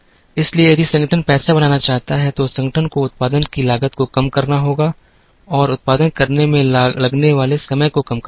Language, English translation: Hindi, So, if the organization wants to make money then, the organization has to minimize the cost of production and minimize the time it takes to produce